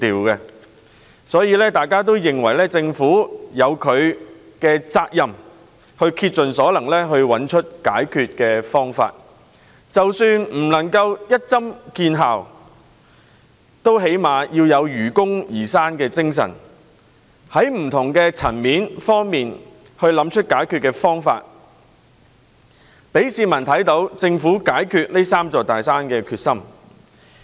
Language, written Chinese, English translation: Cantonese, 因此，大家也認為政府有責任竭盡所能找出解決方法，即使無法立竿見影，至少也應本着愚公移山的精神，在不同層面上找出解決方法，讓市民看到政府解決"三座大山"的決心。, Hence it is generally agreed that the Government is duty - bound to exert its best to find solutions to these problems . Even if no immediate effects can be achieved the Government should at least look for solutions at different levels in the spirit of the Foolish Old Man removing mountains demonstrating to the public its determination of overcoming the three big mountains